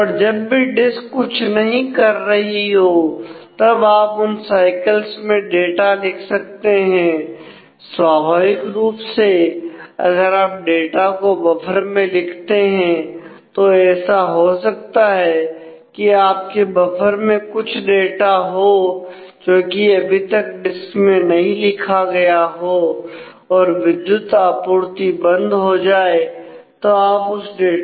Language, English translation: Hindi, And write that or when the disk is not actually doing something some access you can use those cycles to write that now naturally if you write things onto the buffer then it is possible that while your buffer has some data which has actually not been written to the disk if the power fails then you will lose that data